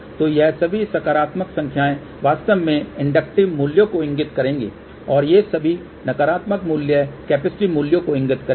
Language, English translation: Hindi, So, all these positive numbers will actually imply inductive values and all these negative values will imply a positive values